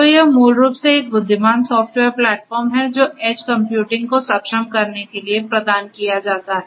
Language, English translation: Hindi, So, it is basically an intelligent software platform that is provided for enabling edge computing